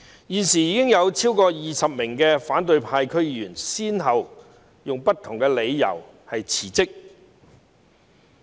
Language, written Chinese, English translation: Cantonese, 現時已有超過20名反對派區議員先後以不同的理由辭職。, At present over 20 DC members from the opposition camp have resigned one after another on various grounds